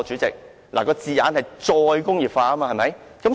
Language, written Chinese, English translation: Cantonese, 有關字眼是"再工業化"，對不對？, The term is re - industrialization right?